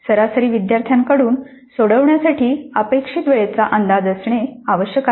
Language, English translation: Marathi, So it is necessary to have an estimate of the time expected to be taken to solve by an average student